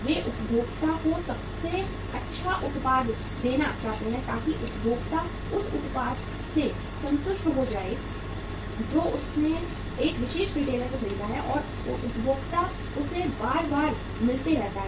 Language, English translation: Hindi, They want to give the best product to the consumer so that consumer is satisfied with the product which he has purchased from a particular retailer and consumer keep on visiting him time and again